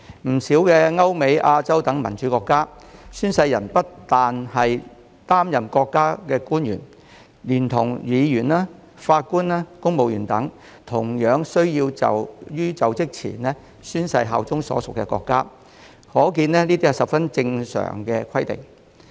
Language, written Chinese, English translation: Cantonese, 不少歐美、亞洲等民主國家，宣誓人不單是國家的官員，議員及法官，公務員亦同樣需要在就職前宣誓效忠所屬國家，可見這是十分正常的規定。, In many democratic countries in Europe the United States Asia and so on not only state officials are required to take oath but Members judges and civil servants are also required to swear allegiance to the countries to which they belong before assuming office . This shows that this is a very normal requirement